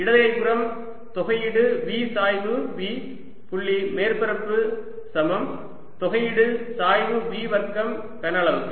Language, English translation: Tamil, the left hand side i can write as integral v grad v dotted with surface is equal to integral grad v square over the volume